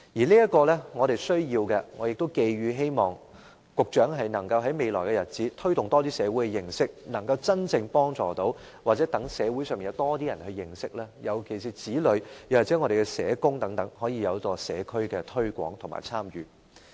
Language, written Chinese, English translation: Cantonese, 這是我們需要做的，我亦希望局長能在未來日子推動社會對這方面有多一點的認識，從而能夠真正幫助長者，又或讓社會上有更多人認識，尤其是子女或社工等，讓他們可在社區推廣和參與。, This is what we need to do and I hope the Secretary can in future enhance the communitys understanding in this respect in order to truly provide assistance to the elderly or through promoting greater understanding among members of the community especially children of the elderly or social workers they can promote it in the community and participate in it